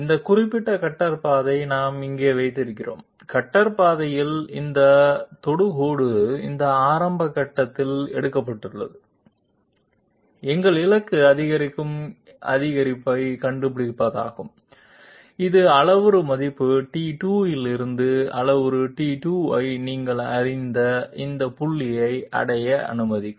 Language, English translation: Tamil, We have here this particular cutter path, along the cutter path this tangent has been taken at this initial point, our target is to find out the incremental increase which will which will allow us to reach this point designated by you know parameter t 2, from parameter value t 1